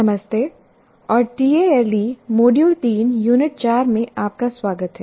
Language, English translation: Hindi, Greetings and welcome to Tale, Module 3, Unit 4